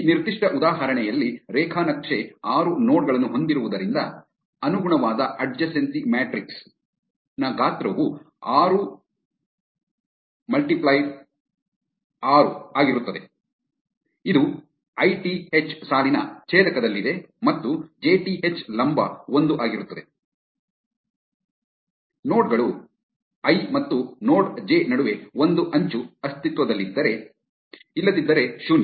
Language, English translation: Kannada, In this particular example, since the graph has 6 nodes, the size of the corresponding adjacency matrix is 6 x 6, this is at intersection of ith row and jth column is 1, if an edge exist between nodes i and node j, otherwise 0